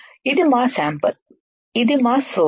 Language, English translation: Telugu, This is our sample, this is our source